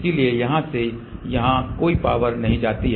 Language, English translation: Hindi, So, from here to here no power goes here